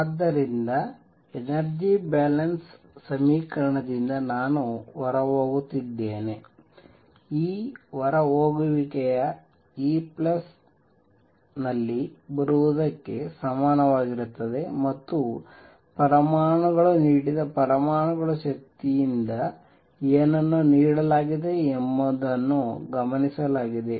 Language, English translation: Kannada, So, from the energy balance equation I am going to have going have E going out is going to be equal to E coming in plus whatever has been observed, whatever has been given by the atoms energy given by atoms